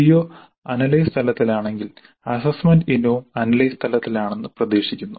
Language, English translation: Malayalam, If the CO is at analyze level it is expected that the assessment item is also at the analyzed level